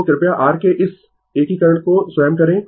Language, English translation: Hindi, So, please do this integration of your own